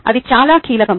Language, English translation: Telugu, that is very crucial